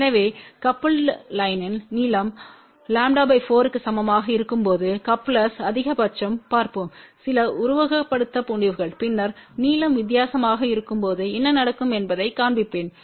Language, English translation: Tamil, So, coupling is maximum when the length of the coupled line is equal to lambda by 4 , we will see some simulated results and then I will show you what happens when the length is different